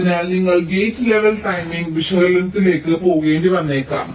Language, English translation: Malayalam, so if you are doing a gate level timing analysis, there can be some problems